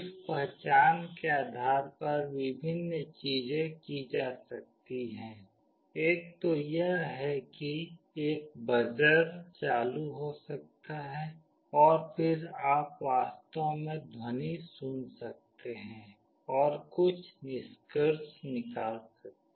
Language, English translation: Hindi, Based on that detection various things can be done; one thing is that a buzzer could be on, and then you can actually hear the sound and can make out